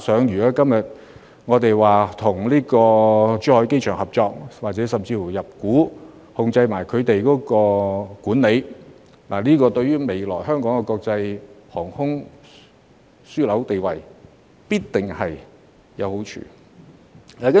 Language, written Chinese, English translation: Cantonese, 如果今天我們與珠海機場合作，甚至入股，參與其管理，這對於未來香港的國際航空樞紐地位，必然會有好處。, If we seek cooperation with Zhuhai Airport today or even take an equity stake in it so as to engage in its management it will certainly be beneficial to Hong Kongs future status as an international aviation hub